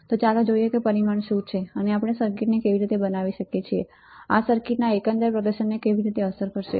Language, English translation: Gujarati, So, let us see how what are the parameters and how we can design the circuit or how this will affect the overall performance of the circuit